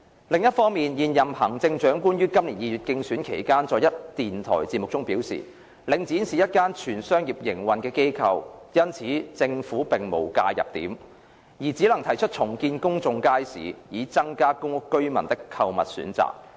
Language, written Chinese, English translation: Cantonese, 另一方面，現任行政長官於今年2月競選期間在一電台節目中表示，領展是一間全商業營運的機構，因此政府並無介入點，而只能提出重建公眾街市，以增加公屋居民的購物選擇。, On the other hand in a radio programme during her election campaign in February this year the incumbent Chief Executive indicated that as the Link was an organization operated on fully commercial terms the Government had no intervention point and could only propose to redevelop public markets with a view to providing more shopping choices for PRH residents